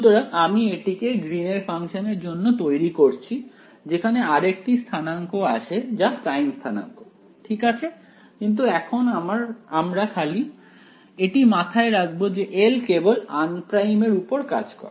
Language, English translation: Bengali, So, I am setting it up for the case of the greens function where one more coordinate comes in the prime coordinate ok, but we will just make a note now that L acts on unprimed only